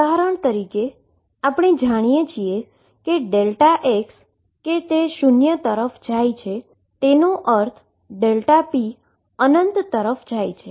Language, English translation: Gujarati, For example, now I know that delta x going to 0 means delta p goes to infinity